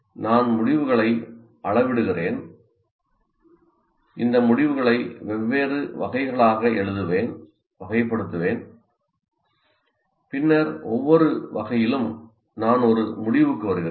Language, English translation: Tamil, I'm measuring the results and I'll write, classify these results into different categories and then for each category I come to a conclusion